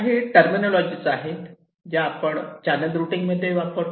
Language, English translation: Marathi, ok, so there are some terminologies that we use in channel routing: track